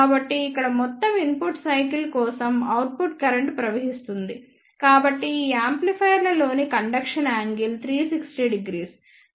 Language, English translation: Telugu, So, here output current flows for the whole input cycle so the conduction angle in these amplifier is 360 degree